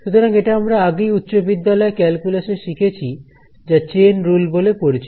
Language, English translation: Bengali, So, again this is something that we studied in calculus high school so, called chain rule